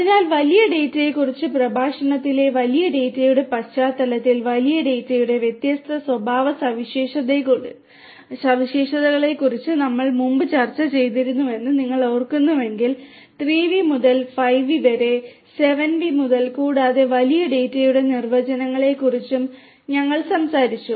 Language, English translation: Malayalam, So, if you recall that in the context of big data in the lecture on big data we earlier discussed about the different characteristics of big data, we talked about the definitions of big data starting from 3 V’s, through 5 V’s, through 7 V’s and so on